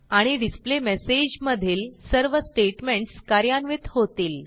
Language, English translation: Marathi, And all the statements in the displayMessage are executed